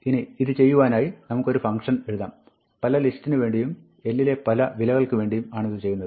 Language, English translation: Malayalam, Now, we could write a function to do this, which does this for different lists and different values of l